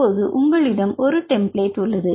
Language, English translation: Tamil, Finally you can choose the templates